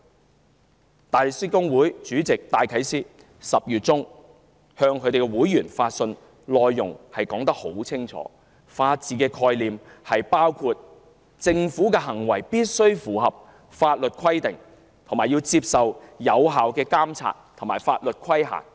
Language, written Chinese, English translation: Cantonese, 香港大律師公會主席戴啟思10月中向會員發信，清楚指出法治的概念包括政府行為必須符合法律規定，並接受有效監察和法律規限。, In a letter to the members of the Hong Kong Bar Association in October Chairman Philip DYKES pointed out clearly that the rule of law embraces the notion that all Governments acts must comply with the law and be subject to effective review and legal scrutiny